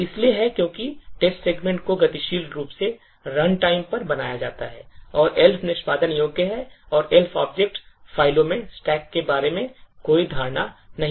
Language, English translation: Hindi, So this is because the text segment is created dynamically at runtime and the Elf executable and the Elf object files do not have any notion about stack